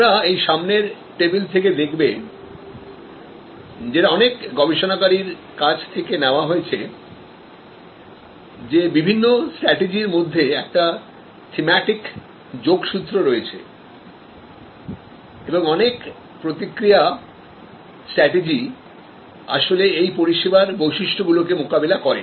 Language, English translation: Bengali, And as you will see you from this particular table, borrowed from number of researcher and their work that there is a certain thematic linkage among those various strategies and some of the response strategies actually tackle number of service characteristics